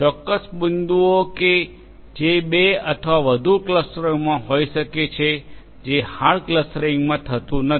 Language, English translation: Gujarati, Certain points may belong to two or more clusters together whereas, that cannot happen in hard clustering